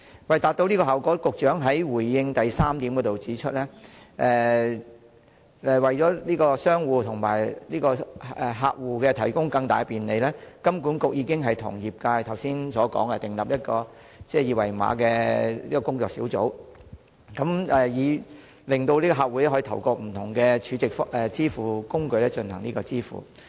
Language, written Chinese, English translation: Cantonese, 為達致這效果，局長在主體答覆第三部分中指出，為向商戶和客戶提供更大便利，金管局已與業界就訂立二維碼標準成立了工作小組，以便客戶可透過不同儲值支付工具進行支付。, To this end the Secretary pointed out in part 3 of the main reply that to provide greater convenience to both merchants and customers HKMA and the industry have established a working group on common QR code standard so that customers can make payments through different SVFs